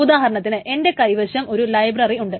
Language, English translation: Malayalam, So suppose there is a big library